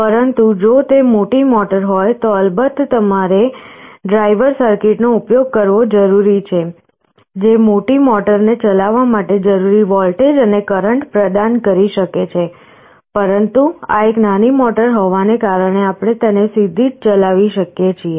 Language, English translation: Gujarati, But, if it is a larger motor, of course you need to use a driver circuit, which can supply the required voltage and current to drive the larger motor, but this being a small motor we can drive it directly